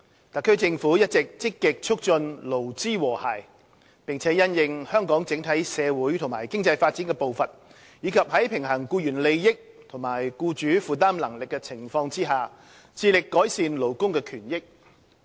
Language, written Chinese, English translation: Cantonese, 特區政府一直積極促進勞資和諧，並因應香港的整體社會及經濟發展的步伐，以及在平衡僱員利益與僱主負擔能力的情況下，致力改善勞工權益。, The SAR Government has been actively promoting a harmonious employer - employee relationship and striving to improve labour rights at a pace commensurate with Hong Kongs overall socio - economic development while striking a balance between employees interests and employers affordability